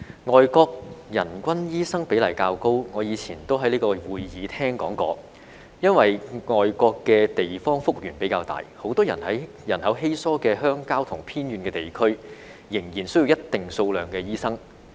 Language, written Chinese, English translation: Cantonese, 外國人均醫生比例較高，我以前也在這會議廳說過，是因為外國的地方幅員比較大，很多人口稀疏的鄉郊和偏遠地區仍然需要一定數量的醫生。, The higher per capita doctor ratios in foreign countries as I said in this Chamber before are attributed to their relatively large sizes . Many sparsely populated rural and remote areas still need doctors